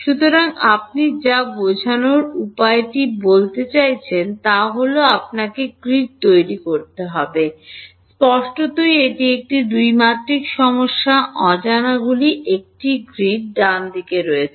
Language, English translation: Bengali, So, what you I mean the way to do this is, you have to make a grid; obviously, it is a 2 dimensional problem, the unknowns are on a grid right